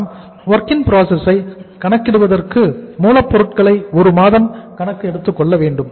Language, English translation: Tamil, For calculating the WIP we have to take the raw material and stages 1 month